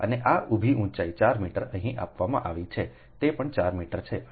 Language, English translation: Gujarati, and this ah, this ah vertical, vertical height is given four meter, here also it is four meter and total is four plus four, so eight meter